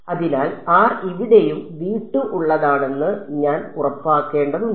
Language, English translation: Malayalam, So, I have to make sure that r over here also belong to v 2